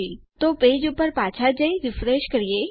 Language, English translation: Gujarati, So, lets go back to our page and we will refresh